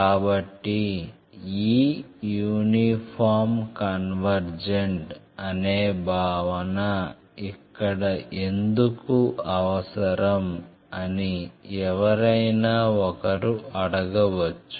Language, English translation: Telugu, So, you may ask us why this uniformly convergent concept is required for us